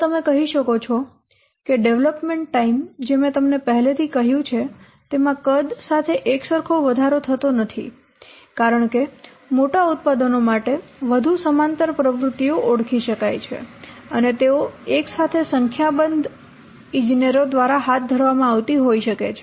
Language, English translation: Gujarati, And you can say that I'll just say that development time it does not increase linearly with the product size that I have only told you because for larger products, more parallel activities can be identified and they can be carried out simultaneously by a number of engineers